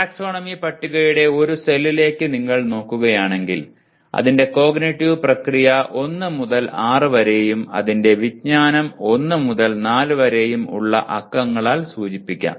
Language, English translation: Malayalam, If you look at a cell of the taxonomy table can be numbered by its cognitive process 1 to 6 and its knowledge category 1 to 4